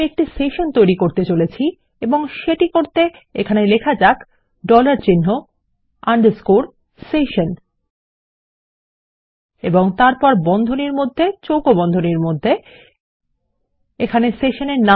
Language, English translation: Bengali, Were going to create a session and to do this let me start and type here the dollar sign underscore session and then in brackets, in square brackets, we will give it a session name